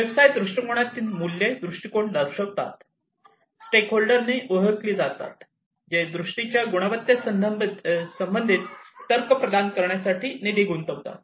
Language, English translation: Marathi, The values in the business viewpoint indicate the vision, recognized by the stakeholders, who are involved in funding providing the logic regarding the merit of vision, and so on